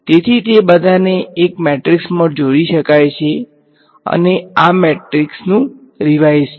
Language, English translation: Gujarati, So, all of that can be combined into one matrix and the size of this matrix is